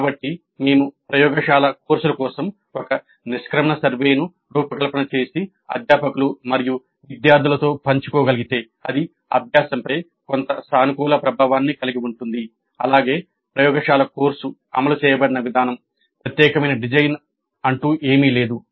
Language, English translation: Telugu, So, if we can design an exit survey for the laboratory courses upfront and share it with faculty and students, it has some positive impact on the learning as well as the way the laboratory course is implemented